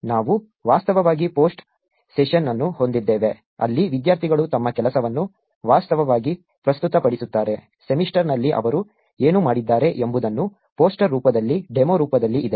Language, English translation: Kannada, We actually have a post session where students actually present their work, what they have done over the semester in the form of a poster, in the form of a demo